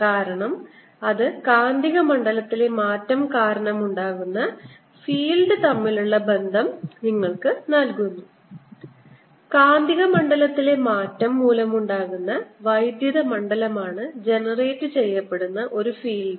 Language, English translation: Malayalam, we want to focus on this because this gives you a relationship between of field which is generated due to change in magnetic fields, of field which is due to is generated is the electric field due to change in magnetic field